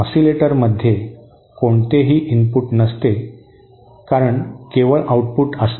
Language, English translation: Marathi, In an oscillator, there is no input as such there is only an output